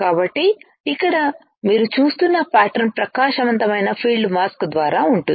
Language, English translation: Telugu, So, the pattern here that you are looking at is by a bright field mask